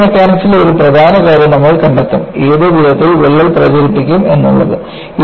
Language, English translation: Malayalam, You will find one of the important aspects in Fracture Mechanics is, in which way the crack will propagate